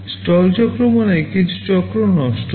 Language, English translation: Bengali, Stall cycle means some cycles are wasted